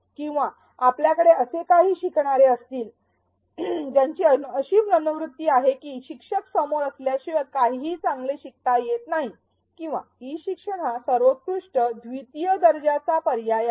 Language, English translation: Marathi, Or you may have some learners who come with the attitude that nothing can be learnt well unless there is a face to face teacher or e learning is at best second rate substitute